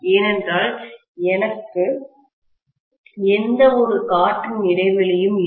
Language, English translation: Tamil, That is because I don’t have any air gap